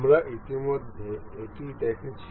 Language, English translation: Bengali, We have already seen